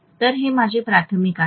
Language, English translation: Marathi, So this is my primary, right